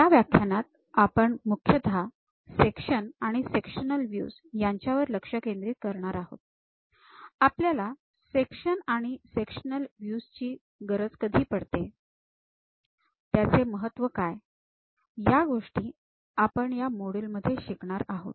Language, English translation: Marathi, In this module, we will mainly focus on Sections and Sectional Views; when do we require this sections and sectional views, what are the importance of the sections; these are the things what we are going to learn in our module number 5